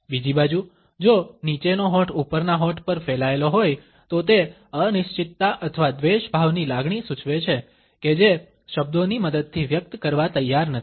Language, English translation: Gujarati, On the other hand, if the bottom lip has protruded over the top lip it indicates a feeling of uncertainty or ambivalence that one is unwilling to express with the help of words